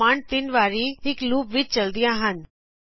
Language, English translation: Punjabi, These commands are run 3 times in a loop